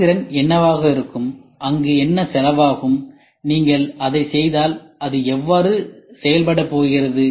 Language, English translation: Tamil, What is the performance going to be there and what is the cost going to be there and if you do it how is it going to be done